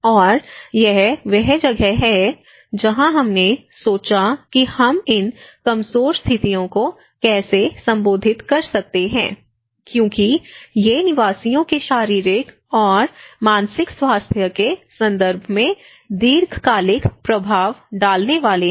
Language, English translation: Hindi, And that is where the thought of how we can address these vulnerable situations because these are going to have a long term impacts both in terms of the physical and the mental health of the inhabitants